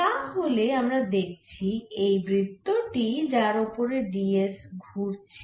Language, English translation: Bengali, so so we can see this is the circle at which d s is moving